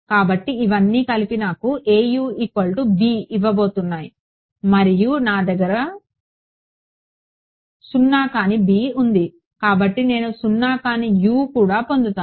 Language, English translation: Telugu, So, all of this put together is going to give me A U is equal to b and I have a non zero b therefore, I will get a non zero u also right